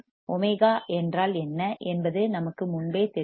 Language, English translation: Tamil, We already know what omega is